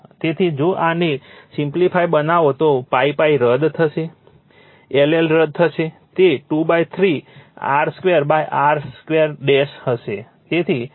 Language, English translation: Gujarati, So, if you if you simplify this, so pi pi will be cancel, l l will be cancel, it will be 2 by 3 into r square by your r dash square